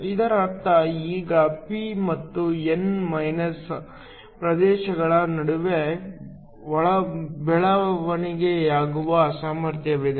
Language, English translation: Kannada, This means there is now a potential that develops between the p and the n regions